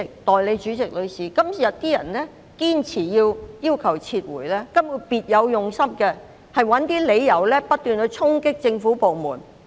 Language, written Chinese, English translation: Cantonese, 代理主席，今天堅持要求撤回的人根本別有用心，試圖找一些理由不斷衝擊政府部門。, Deputy President those who insist on a withdrawal today are basically people with ulterior motives trying to find some pretexts to justify their constant charging at government departments